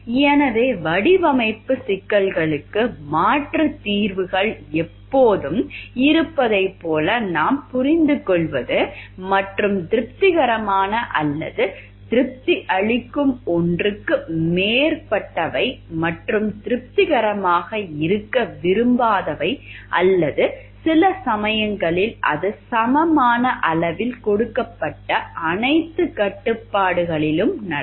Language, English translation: Tamil, So, what we understand like there are always alternative solutions to design problems and more than one which is satisfactory or satisfies and we cannot like be satisfying or sometimes it happens all the constraints given to equal degree